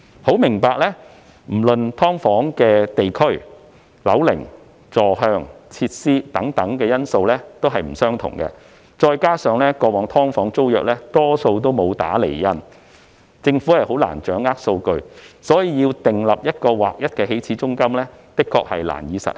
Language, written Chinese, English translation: Cantonese, 由於"劏房"的地區、樓齡、坐向、設施等因素大不相同，加上過往"劏房"租約大多沒有"打釐印"，政府難以掌握數據，所以要訂立劃一的起始租金，的確難以實行。, As the location age orientation and facilities of SDUs may vary greatly and most tenancy agreements of SDUs in the past were not stamped it is difficult for the Government to grasp the data and thus setting a standard initial rent is very difficult indeed